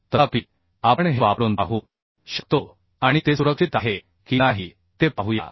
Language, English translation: Marathi, however, we can try with this and a let us see whether it is safe or not